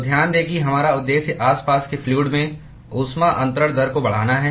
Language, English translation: Hindi, So, note that we purpose is to increase the heat transfer rate into the fluid which is surrounding